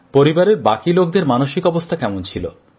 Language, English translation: Bengali, How were family members feeling